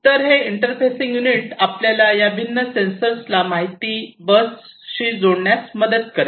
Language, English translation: Marathi, So, this interfacing unit will help you to connect these different sensors to the information bus